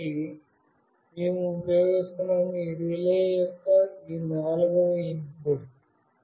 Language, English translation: Telugu, So, we are using this fourth input of this relay